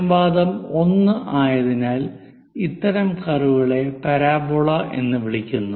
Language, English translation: Malayalam, Because the ratio is 1, such kind of curve what we call parabola